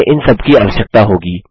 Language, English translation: Hindi, We are going to require all of these